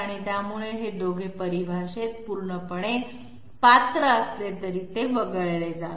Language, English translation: Marathi, So though these two fully qualify in the definition, this one is dropped